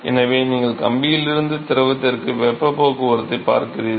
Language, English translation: Tamil, So, you are looking at heat transport from the wire to the fluid